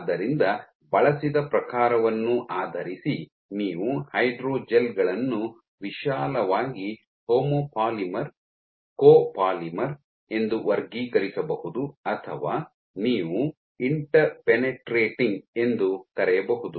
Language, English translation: Kannada, So, based on the type used you may classify hydrogels broadly as a homo polymer, copolymers or you can have something called interpenetrating